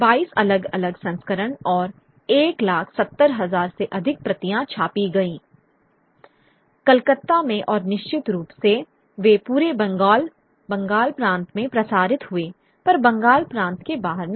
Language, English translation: Hindi, Twenty two different editions and more than one lac seventy thousand copies were printed, right, from Calcutta and of course they circulated into the entire Bengal province if not even outside the Bengal province also